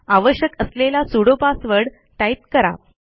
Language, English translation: Marathi, Enter the sudo password if required